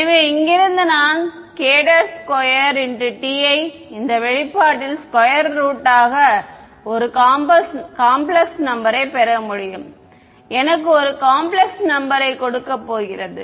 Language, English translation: Tamil, And so, from here I can get k prime as a square root of this expression square root of a complex number is going to give me a complex number ok